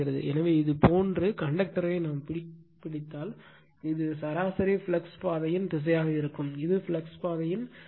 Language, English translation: Tamil, So, if you grabs the conductor like this, then this will be your the direction of the your mean flux path, this is the direction of the flux path right